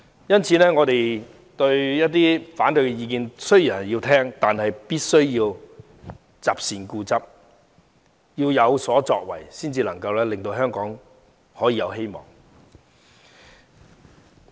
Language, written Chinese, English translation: Cantonese, 因此，雖然我們也要聆聽反對意見，但必須擇善固執、有所作為，才能令香港有希望。, Hence while we should listen to opposing views we must insist on doing the right thing and make a difference . Only then can there be hope for Hong Kong